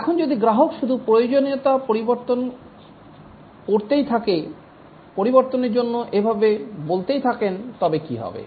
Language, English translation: Bengali, Now what if the customer just keeps changing the requirements, keeps on asking for modifications and so on